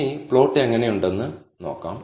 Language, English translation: Malayalam, Now, let us see how the plot looks